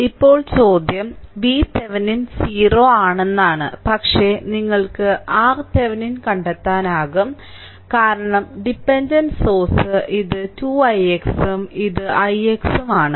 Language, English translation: Malayalam, V V So, now, question is that V Thevenin is 0, but you can find out R Thevenin, because dependent source is there this is 2 i x and this is i x